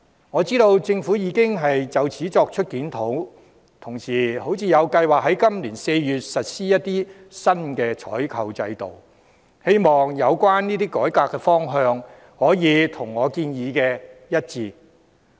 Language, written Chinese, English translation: Cantonese, 我知道政府已就此作出檢討，同時亦有計劃在今年4月實施新採購制度，希望有關改革方向可以跟我的建議一致。, I know that the Government has conducted a review in this connection and is also planning at the same time to introduce a new procurement system in April this year . I hope that the direction of the reform is in line with my proposal